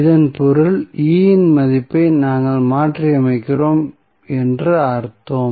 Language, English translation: Tamil, It means that we are replacing the value of E